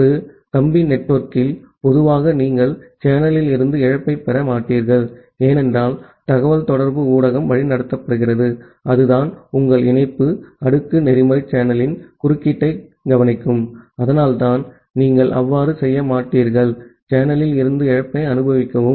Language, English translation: Tamil, And in a wired network, in general you do not get a loss from the channel, because the communication media is guided, it is where so your link layer protocol will take care of the interference in the channel, and that is why you will not experience a loss from the channel